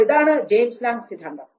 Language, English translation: Malayalam, So, this is what was James Lange Theory